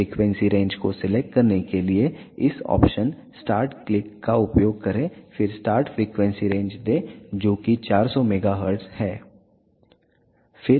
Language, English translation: Hindi, In order to select the frequency range use this option start click here then give the start frequency range that is 400 megahertz